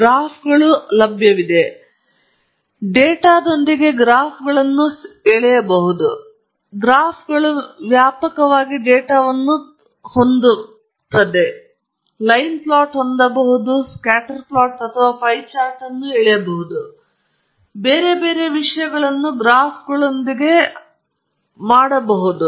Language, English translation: Kannada, There are graphs; you can draw graphs with the data that you have and graphs again there are wide range of data you can have a line plot, you can have, you know, just a scatter plot, you can draw pie chart, lot of different things you can do with graphs